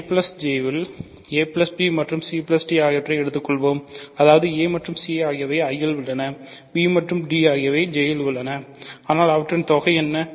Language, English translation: Tamil, So, let us take a plus b and c plus d in I plus J ok; that means, a and c are in I, b and d are in J right, but then what is their sum